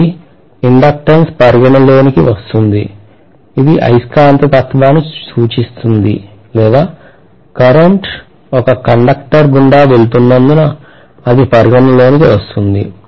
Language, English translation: Telugu, So the inductance comes into picture to represent the magnetism that is taking place or that is coming into picture because of a current passing through a conductor